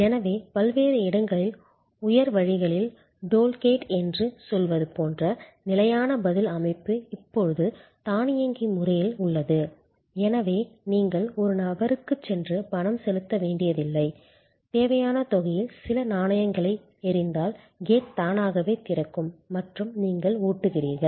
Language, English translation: Tamil, So, fixed response system like say toll gate at various, on high ways are now automated, so you do not have to go and pay to a person, you throw some coins of the requisite amount and the gate automatically opens and you drive through